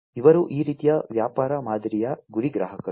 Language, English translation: Kannada, These are target customers of this kind of business model